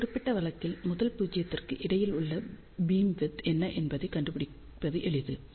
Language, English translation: Tamil, In this particular case, it is easy to find out what is the beamwidth between the first nul